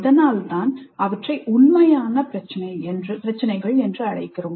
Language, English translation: Tamil, That's why we call them as authentic problems